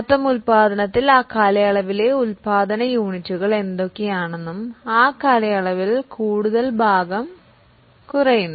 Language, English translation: Malayalam, Out of that total production, whatever is a production units for that particular period, that much portion will be depreciated in that period